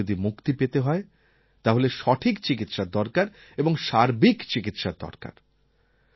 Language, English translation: Bengali, If we want to free ourselves and our country from TB, then we need correct treatment, we need complete treatment